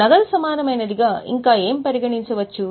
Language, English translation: Telugu, What else can be considered as cash equivalent